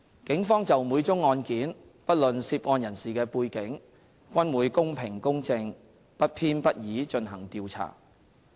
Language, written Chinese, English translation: Cantonese, 警方就每宗案件，不論涉案人士的背景，均會公平公正、不偏不倚進行調查。, The Police in respect of each case will conduct fair and impartial investigation regardless of the background of the person involved